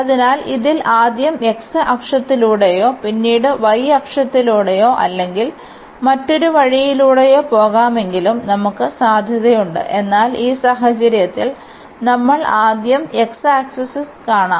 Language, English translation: Malayalam, So, in this we have the possibility though going first through the x axis and then the y axis or the other way round, but in this case if we go first to watch the x axis